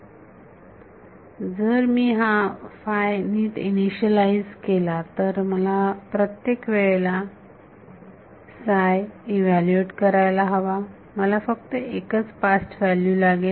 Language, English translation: Marathi, Now, if I initialize this psi n psi properly, then every time I want to evaluate psi, I just need one past value